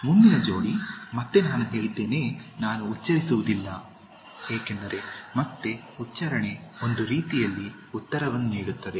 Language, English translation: Kannada, The next pair, which again I said, I will not pronounce because again the pronunciation, sort of gives away the answer